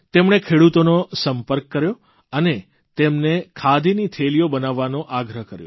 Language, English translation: Gujarati, He contacted farmers and urged them to craft khadi bags